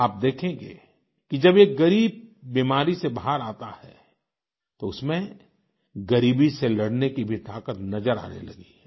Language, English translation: Hindi, You will see that when an underprivileged steps out of the circle of the disease, you can witness in him a new vigour to combat poverty